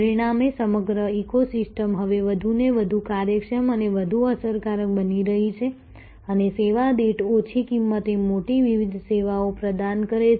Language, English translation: Gujarati, As a result over all the eco system is now increasingly becoming more efficient and more effective and offering larger variety of services at a lower cost per service